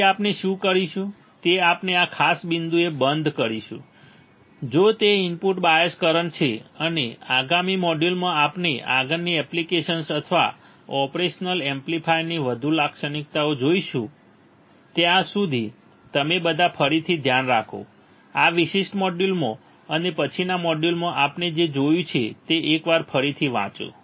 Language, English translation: Gujarati, So, what we will do is we will stop at this particular point, if it is a input bias current and in the next module, we will see further applications or further characteristics of operation amplifier till then you all take care read again, once what whatever we have seen in this particular module and in the next module